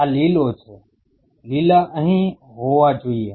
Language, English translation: Gujarati, These are greens the green should be here